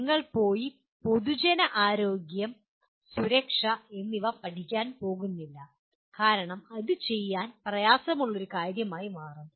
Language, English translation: Malayalam, You are not going to go and study public health, safety because it will become a tall order